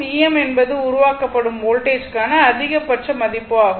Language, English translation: Tamil, E m is the maximum value of the voltage generated, right